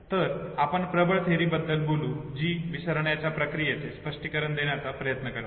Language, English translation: Marathi, So let us talk about the dominant theories which tries to explain the process of forgetting